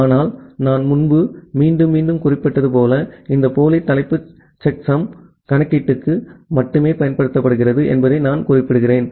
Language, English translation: Tamil, But as I have mentioned earlier again repeatedly I am mentioning that this pseudo header is just used only for the computation of the checksum